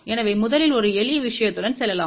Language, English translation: Tamil, So, let just go with a simple simple thing first